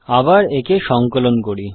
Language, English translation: Bengali, Let me compile it again